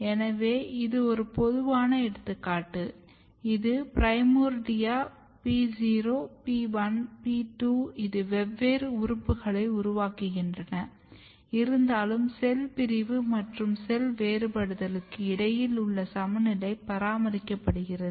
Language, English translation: Tamil, So, this is a typical example you can see this is primordia P 0 P 1 P 2 different organs are developing and, but a still a balance between cell division and cell differentiations are maintained